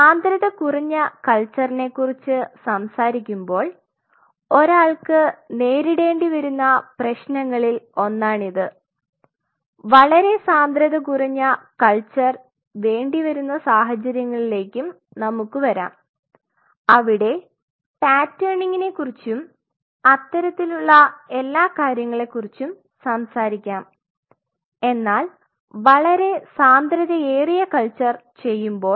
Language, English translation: Malayalam, So, that could be one of the problem one could face, when we talk about a very low density culture and we will come there are situations where you have to do a very low density culture well talk about patterning and all that kind of stuff will be coming soon to this, but if you do a very high density culture you can